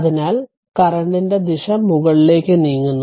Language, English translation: Malayalam, So, as we have taken the direction of the current moving upward